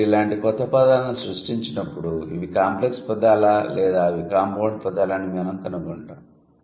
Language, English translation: Telugu, So, when you create new words like this, we'll find out whether these are complex words or these are compound words